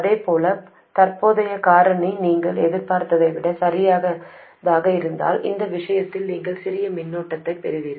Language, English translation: Tamil, Similarly, if the current factor is smaller than you expected, so in this case you will get a smaller current